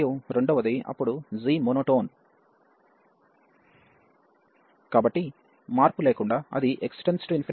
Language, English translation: Telugu, And the second one then g is monotone, and so monotonically it is going to 0 as x approaching to infinity